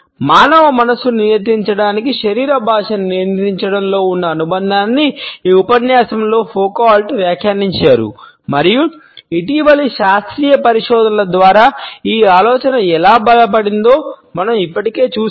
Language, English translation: Telugu, The association in controlling the body language to control the human mind has been commented on by Foucault in this lecture and we have already seen how this idea has been reinforced by recent scientific researches